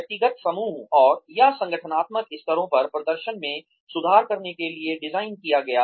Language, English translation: Hindi, Designed to improve performance, at the individual group, and/or organizational levels